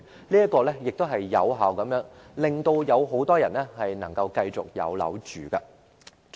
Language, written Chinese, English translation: Cantonese, 這樣做亦能有效地令很多人繼續有地方居住。, This is also an effective way to enable more people to continue to have a place to live